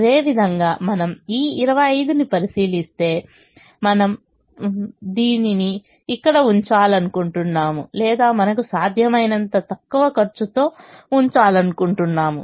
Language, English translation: Telugu, similarly, if we look at this twenty five, we would like to put everything here in this, or we would like to put as much as we can in the least cost position